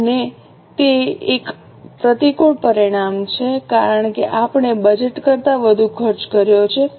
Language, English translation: Gujarati, It is an unfavorable variance because we have incurred more cost than what was budgeted